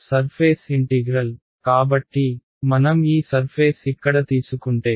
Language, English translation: Telugu, Surface integral right so, if I take this surface over here right